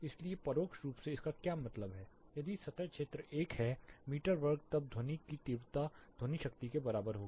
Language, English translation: Hindi, So, indirectly what it means if the surface area is 1 meter square then sound intensity will be equal to sound power